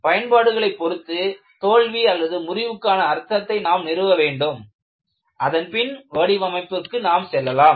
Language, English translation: Tamil, Depending on the application, you establish what the meaning of a failure is, then go on look at the design